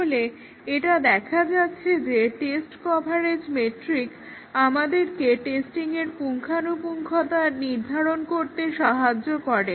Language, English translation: Bengali, So, it is seen test coverage metric helps us determine the thoroughness of testing how well we have tested by computing those metrics